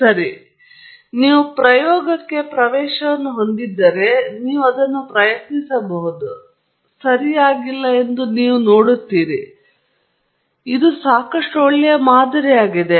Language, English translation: Kannada, Well, if you have access to an experiment, you should try it out and you will see that this is not perfectly right, but this is a fairly good model